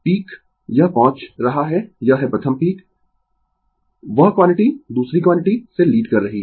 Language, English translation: Hindi, Peak it reaching it is peak first, that quantity is leading the other quantity